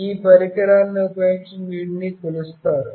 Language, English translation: Telugu, These are measured using this device